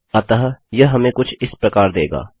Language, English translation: Hindi, So, that will give us something like that